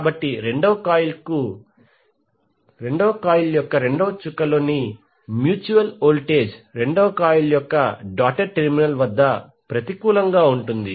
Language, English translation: Telugu, So that means that the second coil the mutual voltage in the second coil will be negative at the doted terminal of the second coil